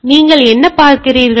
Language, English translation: Tamil, So, what you are trying to see